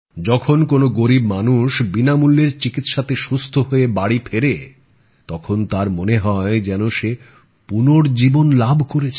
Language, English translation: Bengali, When the poor come home healthy with free treatment, they feel that they have got a new life